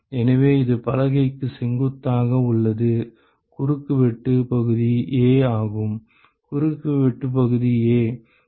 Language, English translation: Tamil, So, this is perpendicular to the board the cross sectional area is A; the cross sectional area is A